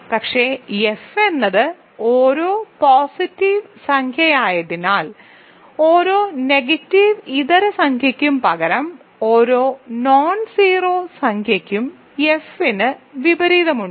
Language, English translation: Malayalam, But, how can you get Q then, but because F is a field every integer positive integer, every non negative integer n rather every nonzero integer n has an inverse in F